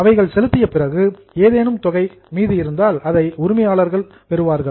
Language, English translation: Tamil, That amount of the amount if there's amount back, then owners will get it